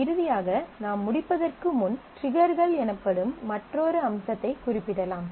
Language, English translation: Tamil, Finally, before we close I will just mention a another feature called triggers, triggers are very important